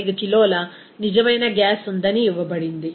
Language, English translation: Telugu, 75 kg of real gas